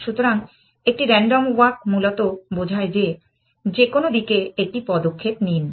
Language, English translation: Bengali, So, a random walk basically just takes says that, just take one step in some direction essentially